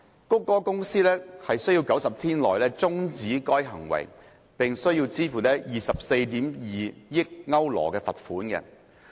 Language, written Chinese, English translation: Cantonese, 谷歌公司須於90天內終止該行為，並須支付 24.2 億歐羅罰款。, Google Inc was required to end such conduct within 90 days and to pay a fine of 2.42 billion euros